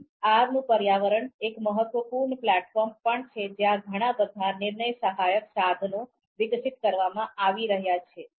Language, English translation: Gujarati, So this R platform R environment is also a significant platform where lot of decision support tools are being developed